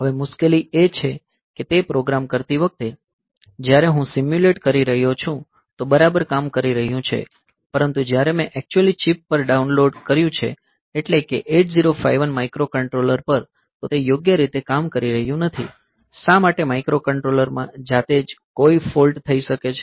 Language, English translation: Gujarati, Now, the difficulty is that, while doing that, so the program, when I am simulating, so, it is working fine, but when I have downloaded onto the actual chip actual, it say 8051 microcontroller, it may not be working correctly, why that microcontroller itself might has some fault developed